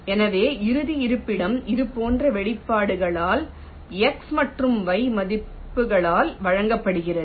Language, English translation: Tamil, so the final location is given by x and y values, by expressions like this